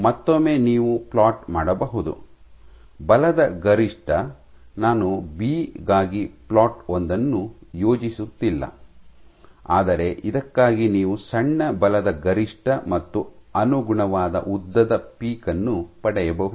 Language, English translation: Kannada, So, once again what you can do is you can plot, the force peak I am not plotting the one for B, but what you have is for these you can get a small force peak and a corresponding length peak